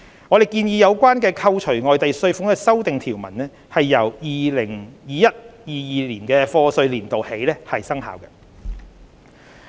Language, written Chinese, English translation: Cantonese, 我們建議有關扣除外地稅款的修訂條文由 2021-2022 課稅年度起生效。, We propose that the amendments relating to foreign tax deduction should take effect from the year of assessment of 2021 - 2022